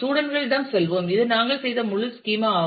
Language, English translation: Tamil, Let us go to the students this is the whole schema that we had done